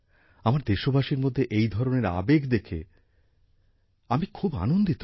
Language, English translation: Bengali, It gives me immense happiness to see this kind of spirit in my countrymen